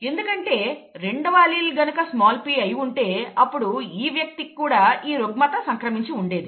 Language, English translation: Telugu, If the other allele had been a small p then this person would have also been affected